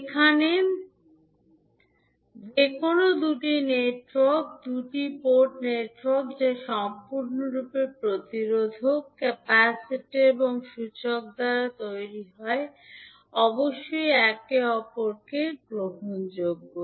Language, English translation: Bengali, Now any two network, two port network that is made entirely of resistors, capacitors and inductor must be reciprocal